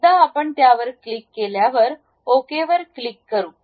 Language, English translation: Marathi, Once we click that, we can click Ok